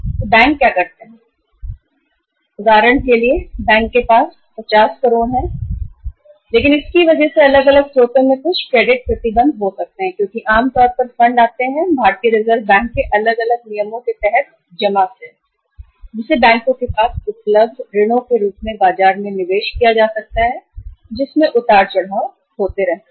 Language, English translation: Hindi, So what the banks do, that for example bank has for example 50 crores normally but because of some credit restrictions maybe from the different sources because normally the funds come to the banks from the deposits maybe under the different say say uh regulations of RBI that fund which is available with the banks to be invested in the market as loans that keeps on say uh fluctuating